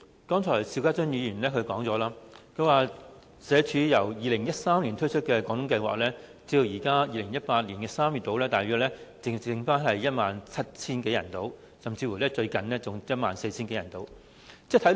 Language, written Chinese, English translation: Cantonese, 主席，邵家臻議員剛才提到，社會福利署自2013年推出"廣東計劃"至今，截至2018年3月，只有大約 17,000 多人參與，最近甚至降至 14,000 多人。, President as mentioned by Mr SHIU Ka - chun earlier since the Guangdong Scheme was launched by the Social Welfare Department since 2013 there were only a bit more than 17 000 participants as at March 2018 and the number has even dropped to 14 000 - odd participants recently